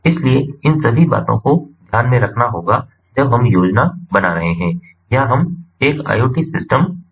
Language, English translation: Hindi, so all these things have to be taken into consideration when we are planning or we are designing an iot system